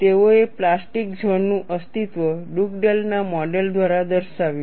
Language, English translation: Gujarati, They demonstrated the existence of plastic zone as postulated by Dugdale’s model